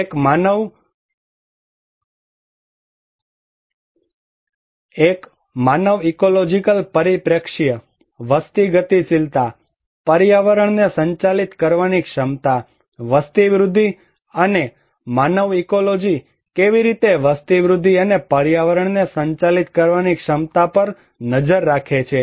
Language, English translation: Gujarati, One is human ecological perspective, population dynamics, capacity to manage the environment, population growth, and how human ecology is looking at population growth and the capacity to manage the environment